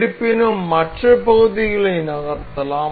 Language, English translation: Tamil, However the other parts can be moved